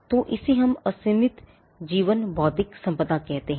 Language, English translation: Hindi, So, this is what we call an unlimited life intellectual property